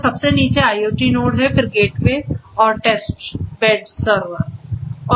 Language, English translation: Hindi, So, at the very bottom is the IoT node, then is the gateway and the testbed server